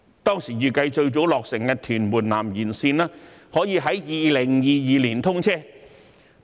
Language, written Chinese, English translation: Cantonese, 當時預計最早落成的屯門南延綫，可以在2022年通車。, It was estimated at that time that the first extension of Tuen Mun South Line could be commissioned in 2022